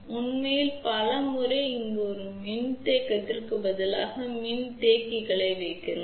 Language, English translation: Tamil, In fact, many a times we put multiple capacitors instead of a single capacitance over here